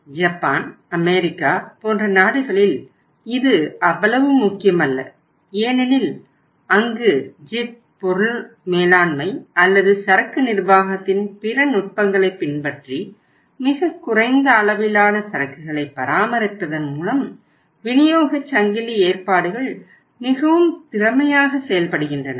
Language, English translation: Tamil, Maybe it is not that important in the countries like Japan, US but the supply chain arrangements are very very efficient where even by maintaining the lowest level of inventory by following JIT and other techniques of material management or inventory management